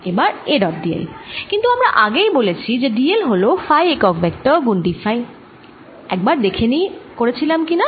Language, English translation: Bengali, a dot d l we have already seen d l is nothing but phi unit vector times d phi